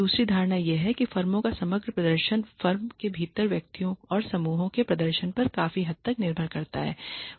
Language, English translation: Hindi, The second assumption is the firms overall performance depends to a large degree on the performance of individuals and groups within the firm